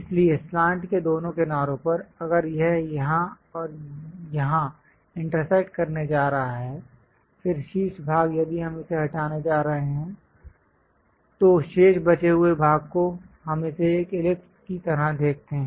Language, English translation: Hindi, So, on both sides of the slant, if it is going to intersect here and here; then the top portion if we are going to remove it, the remaining leftover portion we see it like an ellipse